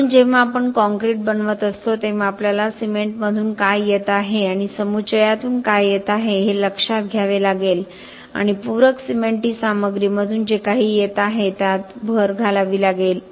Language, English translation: Marathi, So, when we are making concrete, we have to take into account what is coming from the cement and what is coming from the aggregates and also add on whatever is coming from the supplementary cementitious materials